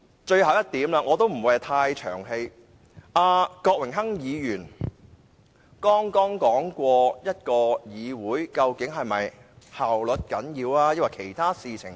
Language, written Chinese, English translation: Cantonese, 最後一點——我不會太冗長——郭榮鏗議員剛剛問及議會究竟應重視效率還是其他東西。, Regarding my last point I am not going to make it too long . Mr Dennis KWOK has just asked the question about whether the Legislative Council should emphasize efficiency or other things